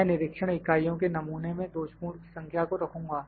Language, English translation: Hindi, I would put number of defectives in sample of inspection units